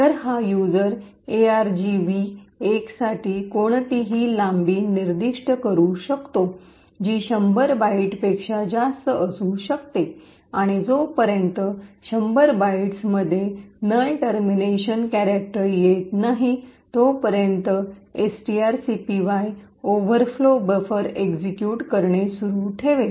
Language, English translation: Marathi, So, this user could specify any length for argv 1 which could be much larger than 100 bytes and if there is no null termination character within the 100 bytes string copy will continue to execute an overflow buffer